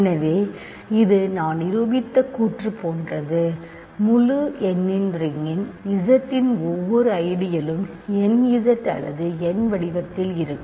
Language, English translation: Tamil, So, this is the exactly like the statement I proved: every ideal in Z the ring of integers is of the form nZ or n in other words for some non negative integer right